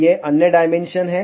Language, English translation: Hindi, These are the other dimensions